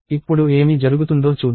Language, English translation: Telugu, And let see what happens now